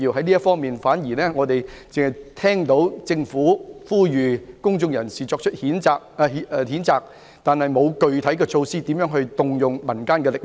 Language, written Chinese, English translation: Cantonese, 在這方面，我們只聽到政府呼籲公眾人士作出譴責，但卻沒有具體措施如何發動民間力量。, In this regard we have only heard the Governments call for public condemnation with no concrete measures of mobilizing the community